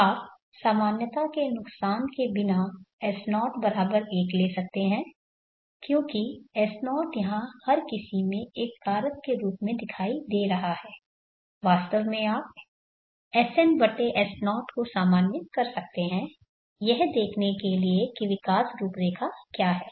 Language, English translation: Hindi, You can take S0=1 without loss of generality because S0 is appearing here as a factor every in fact you can normalize SN/S0 to see what is the growth profile that comes